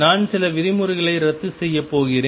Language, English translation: Tamil, And I am going to cancel a few terms